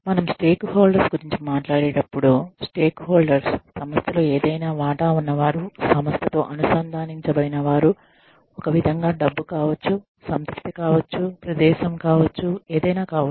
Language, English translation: Telugu, When we talk about stakeholders, we say stakeholders are people, who have any stake in the organization, who are connected to the organization, in some way, may be money, may be satisfaction, maybe location, may be anything